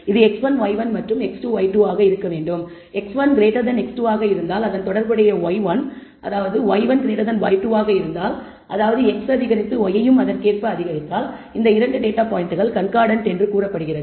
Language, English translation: Tamil, So, x 1 less than x 2 and correspondingly y y 1 is less than y 2 then also we say it is a concordant pair; that means, when x increases y increases or x decreases or y decreases then we say these 2 data pairs are concordant